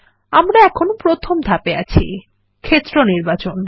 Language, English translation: Bengali, We are in step 1 which is Field Selection